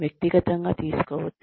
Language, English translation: Telugu, Do not get personal